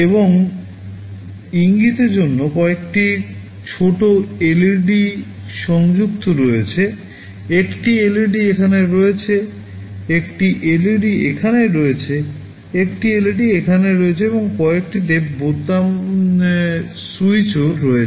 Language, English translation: Bengali, And for indication there are some small LEDs connected, one LED is here, one LED is here, one LEDs here, and there are some also push button switches